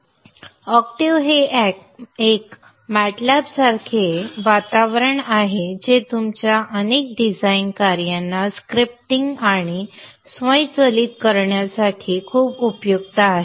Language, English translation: Marathi, Octave is a MATLAB like environment which is very helpful in scripting and automating many of your design tasks